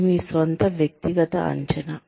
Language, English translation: Telugu, This is your own personal assessment